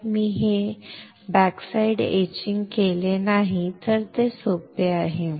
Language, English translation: Marathi, So, if I do not do this backside etching then it is easy